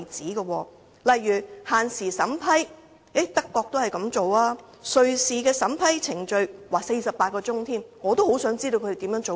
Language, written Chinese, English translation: Cantonese, 例如德國也設有限時審批，瑞士的審批程序更只有48小時——我也很想知道它們如何做到。, For instance in Germany the screening of non - refoulement applications is required to be done within a certain time limit while in Switzerland the screening procedure has to be completed within 48 hours . I also wish to know how they can do it